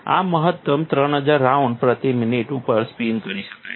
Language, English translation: Gujarati, This one can maximum be spun at 3000 rounds per minute